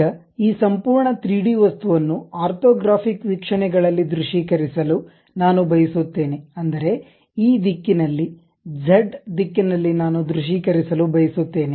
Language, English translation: Kannada, Now, I would like to visualize this entire 3D object as one of the orthographic view; that means, I would like to visualize in this direction, in this z direction